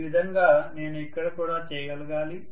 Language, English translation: Telugu, The same thing I should be able to do here also